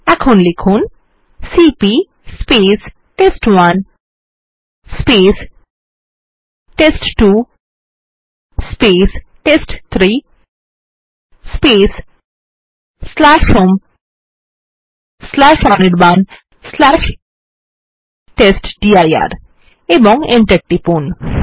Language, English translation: Bengali, Now we type $ cp test1 test2 test3 /home/anirban/testdir and press enter